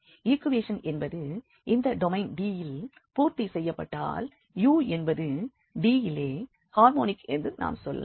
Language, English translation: Tamil, So, if the equation is satisfied in this domain D, we will say that u is harmonic in D